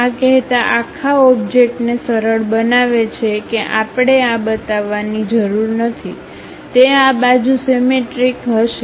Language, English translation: Gujarati, This simplifies the entire object saying that we do not have to really show for this, that will be symmetric on this side also